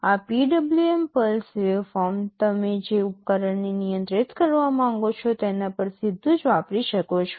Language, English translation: Gujarati, This PWM pulse waveform you can directly apply to the device you want to control